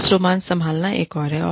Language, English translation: Hindi, Handling office romance, is another one